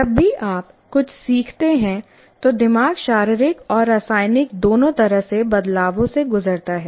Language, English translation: Hindi, And whenever you learn something, the brain goes through both physical and chemical changes each time it learns